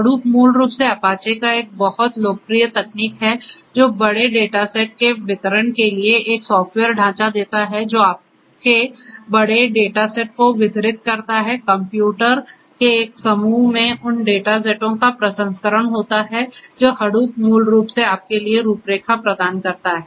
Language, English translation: Hindi, Hadoop is basically a very popular technology from apache, which gives a software framework for distributed processing of large data sets you have large data sets distributed processing of those data sets in a cluster of computers is what Hadoop basically specifically gives you the framework for